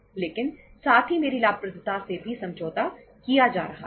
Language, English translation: Hindi, But at the same time my profitability is also being compromised